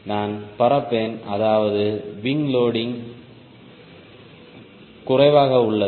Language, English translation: Tamil, i will fly so that wing loading is low